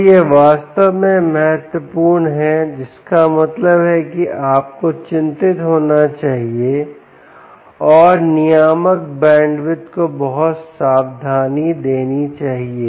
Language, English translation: Hindi, so this is really, really important, which means you should be worried and give a lot of caution to the bandwidth of the regulator